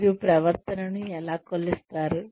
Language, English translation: Telugu, How do you measure behavior